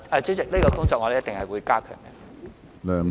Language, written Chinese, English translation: Cantonese, 主席，這項工作我們一定會加強。, President we will definitely strengthen our work in this aspect